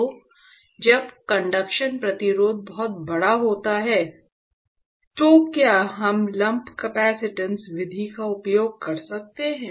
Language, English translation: Hindi, So, when conduction resistance is very large, can we use lump capacitance method